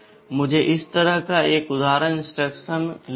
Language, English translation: Hindi, Let me take an example instruction like this